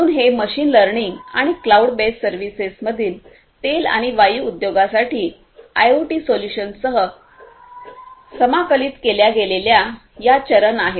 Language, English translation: Marathi, So, these are the steps in the machine learning and cloud based services that are going to be integrated with the IoT solutions for the oil and oil and gas industry